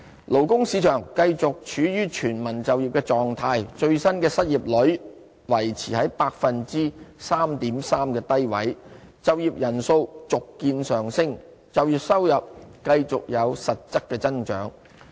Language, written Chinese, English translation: Cantonese, 勞工市場繼續處於全民就業的狀態，最新的失業率維持在 3.3% 的低位，就業人數續見上升，就業收入繼續有實質增長。, The labour market remained in a state of full employment . The latest employment rate stayed low at 3.3 % while the number of employment was on the rise continuously and employment earnings kept rising in real terms